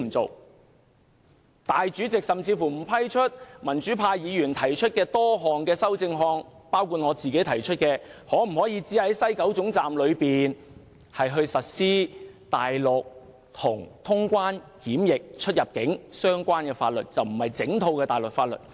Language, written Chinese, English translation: Cantonese, 立法會主席甚至不批准民主派議員提出的多項修正案，包括我提出的在西九龍總站僅實施與清關、出入境、檢疫相關的大陸法律，而不是整套大陸法律。, The President of the Legislative Council has even ruled inadmissible various amendments proposed by pro - democracy Members including my amendment on only implementing Mainland laws relating to customs immigration and quarantine procedures rather than a whole set of Mainland laws at the West Kowloon Station